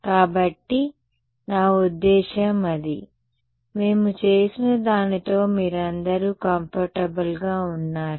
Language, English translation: Telugu, So, is it I mean is it; are you all comfortable with what we did